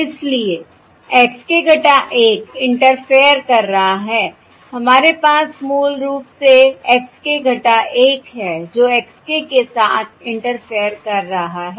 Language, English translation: Hindi, what we have basically we have x k minus 1 is interfering with x k, That is, x k minus 1 is interfering with the detection of x k